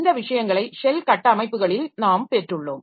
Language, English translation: Tamil, So, this is the thing that we have got this shell structures